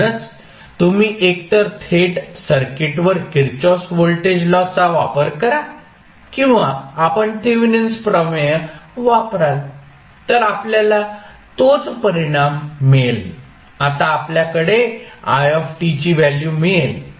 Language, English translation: Marathi, So this equation is again the same as we saw in the case of method one so, either you use the Kirchhoff voltage law directly to the circuit or you will use Thevenin theorem you will get the same result so, now we have got the value of It